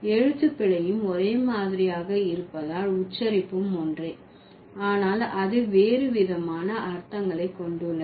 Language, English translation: Tamil, Because the spelling is same, the pronunciation is same, but it has different meanings